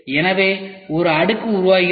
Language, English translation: Tamil, So, this is how the layer looks like